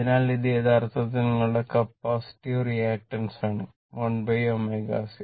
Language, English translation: Malayalam, So, this is actually your capacity your reactant 1 upon omega c right